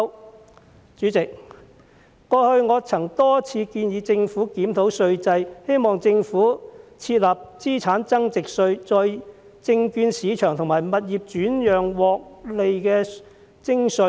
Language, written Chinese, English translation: Cantonese, 代理主席，過去，我曾多次建議政府檢討稅制，希望政府設立資產增值稅，對證券市場和物業轉讓的獲利徵稅。, Deputy President in the past I repeatedly proposed to the Government that the tax regime should be reviewed hoping that the Government would introduce a capital gains tax on the profits from the securities market and property transactions